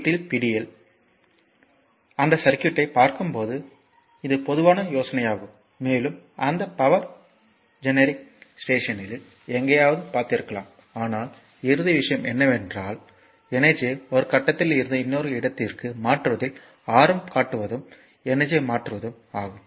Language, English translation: Tamil, This is this is common idea you have when is look at that circuit at house hold and you might have seen somewhere in that power generic station right But ultimate thing is that you often interested in transferring energy from one point to another that is also your transferring energy